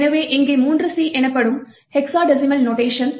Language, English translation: Tamil, So 3C here is the hexadecimal notation